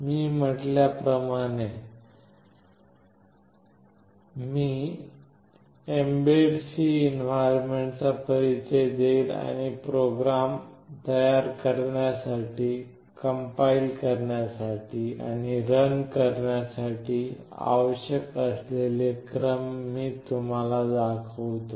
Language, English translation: Marathi, As I said I will introduce the mbed C environment and I will show you the steps that are required to create, compile and run the programs